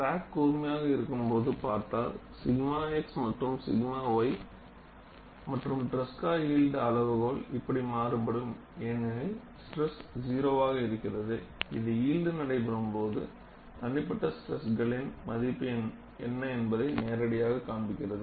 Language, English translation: Tamil, And if you look at when the crack is sharp, both sigma x and sigma y varies like this and your Tresca yield criterion, because your other stress is zero, that directly gives you what is the value of the individual stresses, then yielding takes place